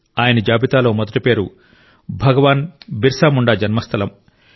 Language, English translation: Telugu, The first name on his list is that of the birthplace of Bhagwan Birsa Munda